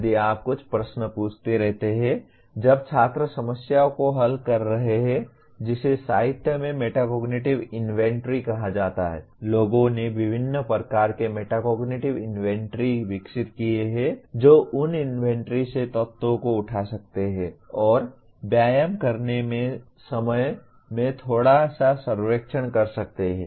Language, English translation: Hindi, If you keep asking the few questions while students are solving problems by what is called metacognitive inventory in the literature people have developed a variety of metacognitive inventories one can pick up elements from those inventories and do a little bit of survey at the time of doing an exercise